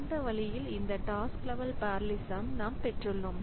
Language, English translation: Tamil, So, that way we have got this task level parallelism